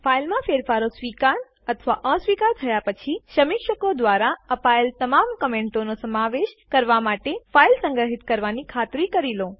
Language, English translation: Gujarati, Please be sure to save the file after accepting or rejecting changes to incorporate all comments given by the reviewers